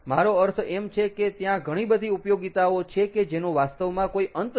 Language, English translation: Gujarati, i mean there are, the number of applications are really endless